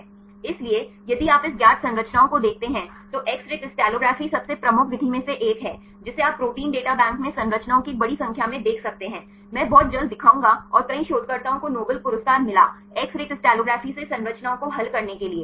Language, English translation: Hindi, So, if you look into this known structures X ray crystallography is one of the most prominent method right you can see a quite large number of structures in the Protein Data Bank I will show very soon and several researches they got Nobel Prize right for using X ray crystallography to solve the structures